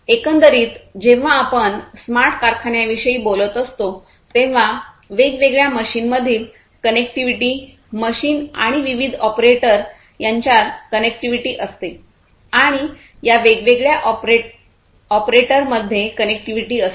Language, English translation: Marathi, Overall, when we are talking about smart factories there is lot of connectivity; connectivity between different machines, connectivity between machines and the different operators, connectivity between these different operators